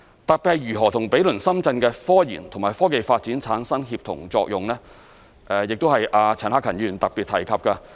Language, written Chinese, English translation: Cantonese, 特別是如何與毗鄰深圳的科研與科技發展產生協同作用，這是陳克勤議員特別提及的。, We should grasp the chance of Mainlands development in particular how to achieve the synergies with the neighbouring Shenzhens technological research and development